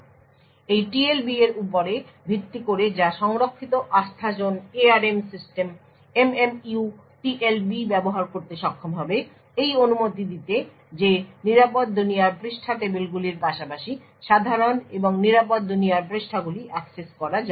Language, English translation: Bengali, So, based on this TLB which is stored Trustzone enable ARM systems the MMU would be able to use the TLB to say permit a secure world page table to access secure pages as well as normal world pages